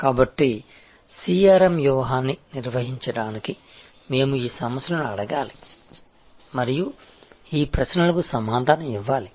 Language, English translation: Telugu, So, to define a CRM strategy we have to ask these issues and answer these questions, so this is where you should start